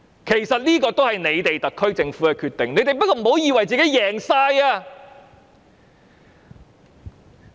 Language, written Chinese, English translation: Cantonese, 其實，這也是特區政府的決定，但不要以為大獲全勝。, As a matter of fact this is also the decision of the SAR Government . And yet no one should consider this a landslide victory